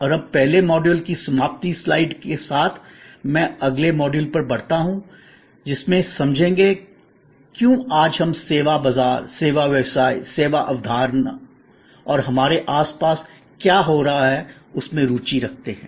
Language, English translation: Hindi, And now, with the explanation given to the first module ending slide, I am moving to the next module which is to understand, why today we are so interested in service market, service businesses, the service concept and what is happening around us today